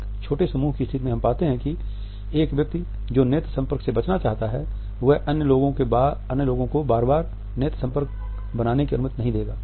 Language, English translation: Hindi, In a small group situations we may come across an individual who wants to avoid eye contact and would not allow other people to catch his eyes very frequently